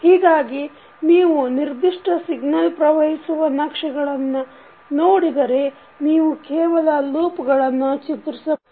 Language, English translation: Kannada, So, if you see in this particular signal flow graph and if you only draw the loops